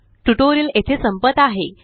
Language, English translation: Marathi, This concludes this tutorial